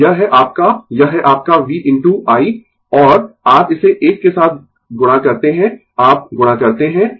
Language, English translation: Hindi, So, it is your it is your v into i and you multiply this together you multiply